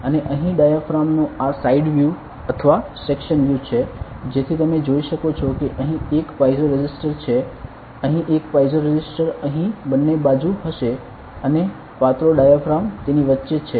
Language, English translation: Gujarati, And the diaphragm over here this is the side view or a section view so you can see there is a piezo resistor here there will be a piezo resistor here on both sides and the thin diaphragm is between it